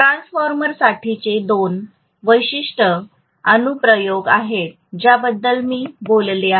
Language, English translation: Marathi, So these are two specific applications that I talked about for transformer